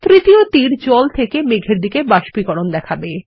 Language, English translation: Bengali, The third arrow shows evaporation of water from water to the clouds